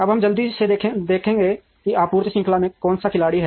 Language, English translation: Hindi, Now, we will quickly see who are the players in the supply chain